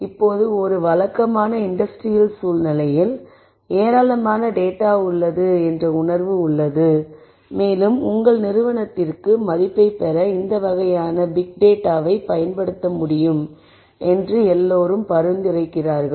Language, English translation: Tamil, In a typical industrial scenario now a days there is a feeling that there is lots of data that is around and everyone seems to suggest that you should be able to use this kind of big data to derive some value to your organization